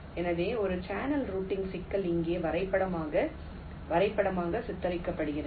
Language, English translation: Tamil, so so a channel routing problem is diagrammatically depicted like here